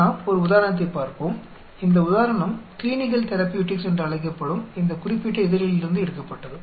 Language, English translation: Tamil, Let us look at an example, this example was taken up from this particular paper which called Clinical Therapeutics